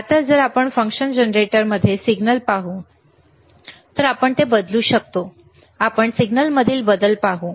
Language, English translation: Marathi, Now, if we can if we change the signal in the function generator, let us see the change in signal